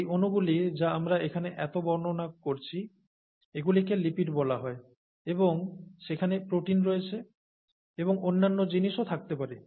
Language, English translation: Bengali, In fact, these molecules you know that we have been describing so much here, these are called lipids and there are proteins, and there could be other things also